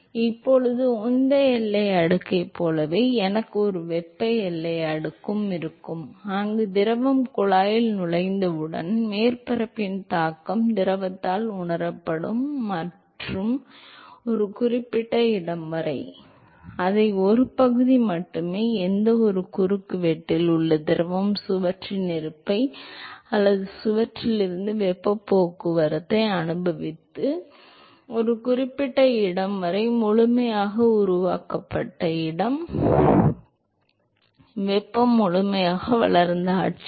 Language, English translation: Tamil, So, now, similar to momentum boundary layer I will also have a thermal boundary layer, where the effect of the surface is felt by the fluid as soon as the fluid enters the tube and up to a certain location, only if a fraction of the fluid in any cross section is experiencing the presence of the wall or the heat transport from the wall and up to a certain location and a location called fully developed; thermal fully developed regime